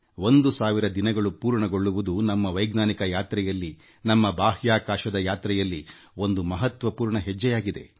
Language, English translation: Kannada, The completion of one thousand days, is an important milestone in our scientific journey, our space odyssey